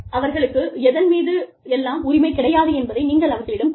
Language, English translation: Tamil, You need to tell people, what they are entitled to, and what they are not entitled to